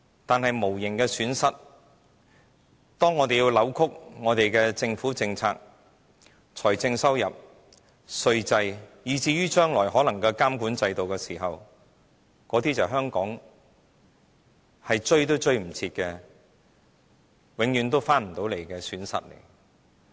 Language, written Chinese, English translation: Cantonese, 但說到無形的損失，如果我們要扭曲我們的政府政策、財政收入、稅制，以至將來可能的監管制度，那些便是香港想追也追不回來，永遠也不能再追回來的損失。, Whereas the intangible loss if we have to distort our government policies financial revenue tax regime and perhaps the regulatory system in the future this will cause us losses that we have no way to recover our irreversible permanent losses